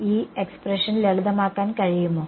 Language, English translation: Malayalam, Can this can this expression gets simplified